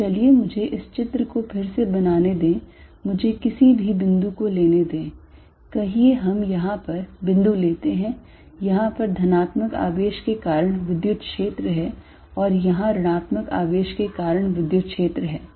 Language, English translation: Hindi, So, let me make this picture again, let me take any point, let us say point out here, here is electric field due to positive charge and here is electric field due to negative charge